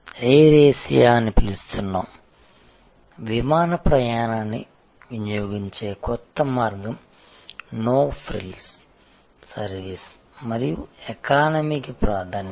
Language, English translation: Telugu, Air Asia, a new way of consuming air travel with no frills service and emphasis on economy